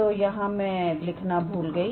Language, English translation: Hindi, So, this I, I forgot to write this